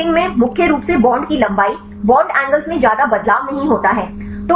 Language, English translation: Hindi, Because the docking mainly bond lengths bond angles would not change much